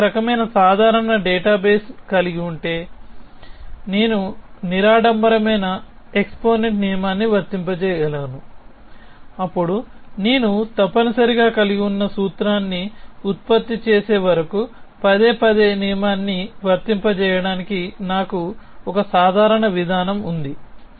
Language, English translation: Telugu, So, if I have a simple database of the kind where, I can apply modest exponents rule then I have a simple mechanism for keep applying rule repeatedly till i generated formula that I have essentially